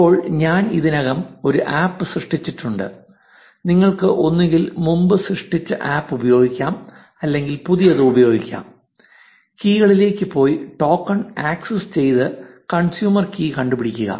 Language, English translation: Malayalam, Now, I have already created an app, you can either use a previously created app or use a new one, go to the keys and access token and get hold of the consumer key